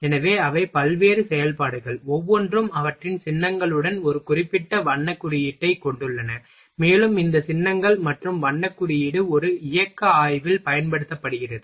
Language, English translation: Tamil, So, they are the various operations, and each have a specific colour code with their symbols, and these symbols, and colour code is used in a motion study